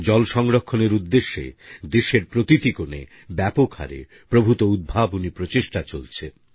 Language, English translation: Bengali, Quite a few extensive & innovative efforts are under way, in every corner of the country, for the sake of conserving water